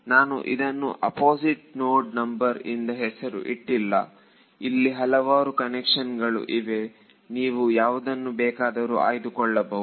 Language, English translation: Kannada, No I am not naming it by the opposite node number there are various convention you can choose whichever convection you are